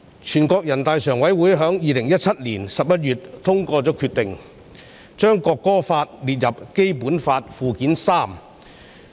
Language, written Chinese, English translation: Cantonese, 全國人民代表大會常務委員會在2017年11月通過決定，將《中華人民共和國國歌法》列入《基本法》附件三。, In November 2017 the Standing Committee of the National Peoples Congress NPCSC adopted the decision to add the Law of the Peoples Republic of China on National Anthem to Annex III to the Basic Law